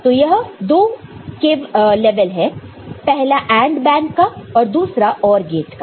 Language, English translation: Hindi, In this case, we will be having AND bank followed by OR gate